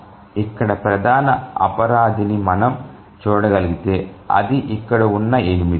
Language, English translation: Telugu, If you can see the major culprit here is this 8 here